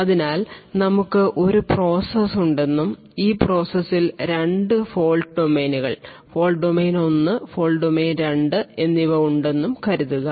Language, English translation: Malayalam, So let us say that we have a one process and these processes have has 2 fault domains, fault domain 1 and fault domain 2